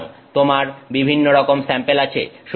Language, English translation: Bengali, So, you have various samples